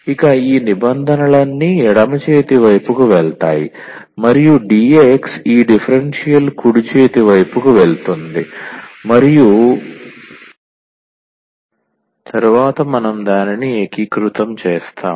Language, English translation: Telugu, So, all this terms will go to the left hand side and the dx this differential will go to the right hand side and then we will integrate it